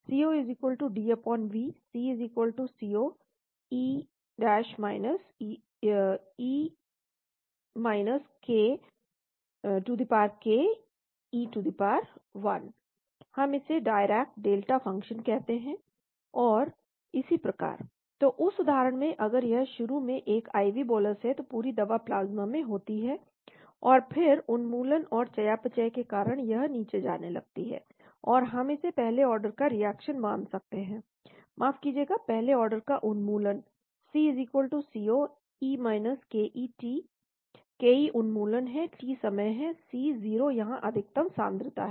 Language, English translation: Hindi, We call it the Dirac delta function and so one, so in that case if it is an IV bolus initially it is, the entire drug is inside in the plasma, and then it starts going down, because of elimination and metabolism, so we can assume it as the first order reaction sorry first order elimination C=C0 e ke t, ke is the elimination , t is the time, C0 is this concentration here max